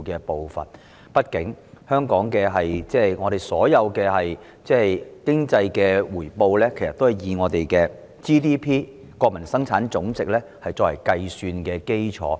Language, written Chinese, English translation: Cantonese, 畢竟香港的所有經濟回報均以本地生產總值作為計算基礎。, After all all economic returns of Hong Kong are calculated on the basis of the Gross Domestic Product GDP